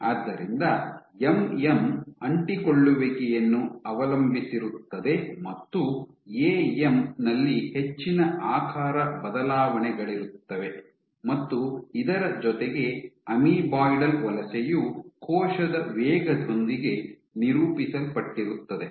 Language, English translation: Kannada, So, MM where, it is adhesion dependent; in AM you have lot more shape changes and in addition amoeboidal migration is characterized with cell speed